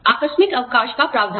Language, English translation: Hindi, Provision of casual leave